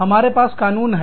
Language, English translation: Hindi, We have legislations